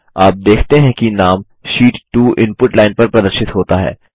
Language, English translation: Hindi, You see that the name Sheet 2 is displayed on the Input line